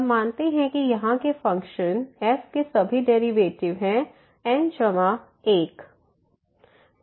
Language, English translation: Hindi, So, we assume that the function here has all the derivatives up to the order plus 1